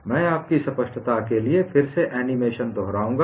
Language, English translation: Hindi, I would again repeat the animation just for your clarity